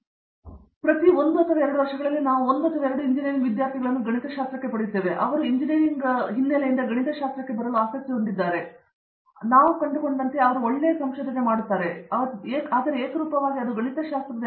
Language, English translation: Kannada, In every one or two years, we get one or two engineering students who is so interest in coming to mathematics and they also do good research after that we find, but uniformly it is M